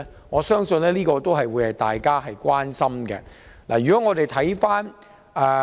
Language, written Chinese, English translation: Cantonese, 我相信這是大家關心的問題。, I believe that all of us are concerned about this question